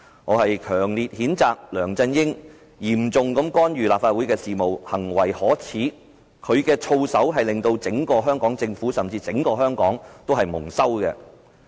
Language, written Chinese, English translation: Cantonese, 我強烈譴責梁振英嚴重干預立法會事務，行為可耻，他的操守令整個香港政府，甚至整個香港蒙羞。, I strongly condemn LEUNG Chun - ying for seriously interfering with the affairs of the Legislative Council; his behaviour is shameful and his conduct has brought shame to the Hong Kong Government as a whole and even Hong Kong as a whole